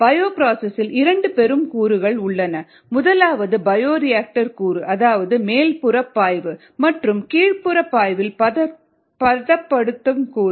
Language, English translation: Tamil, we said that it has two major aspects: the bioreactor aspect or the upstream aspect, and the downstream processing aspects